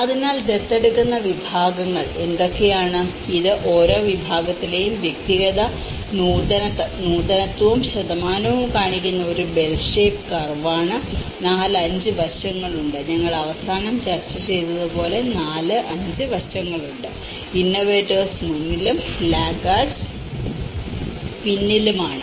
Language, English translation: Malayalam, So, what are the adopter categories, this is a bell shaped curve which shows the individual innovativeness and percentages in each category, there has 4, 5 aspects as we discussed the laggards at the end the innovators on the front and then you have the early adopters, early majority and the late majority so, this is a kind of bell shaped curve